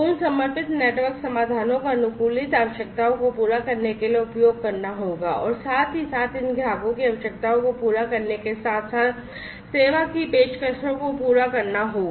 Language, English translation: Hindi, Those dedicated network solutions will have to be used in order to fulfil to the customized requirements plus optimized, you knows together with fulfilling these customers requirements optimized service offerings will have to be made